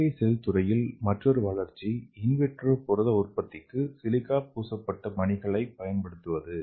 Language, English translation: Tamil, So the another development of artificial cell is use of silica coated beads for in vitro protein synthesis